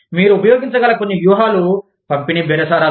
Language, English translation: Telugu, Some tactics, that you can use are, distributive bargaining